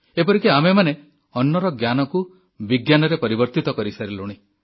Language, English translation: Odia, We have even converted the knowledge about food into a science